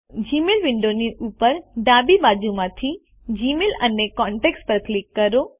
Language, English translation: Gujarati, From the top left of the Gmail window, click on GMail and Contacts